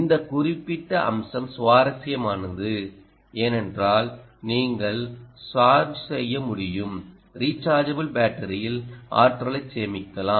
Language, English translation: Tamil, this particular aspect is interesting because you will be able to charge, put energy into a rechargeable battery